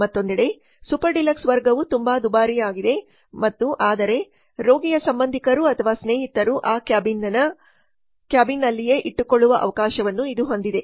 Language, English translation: Kannada, On the other hand super dealers class is very costly and but it has the provision of keeping the patients relatives or friends in that cabin itself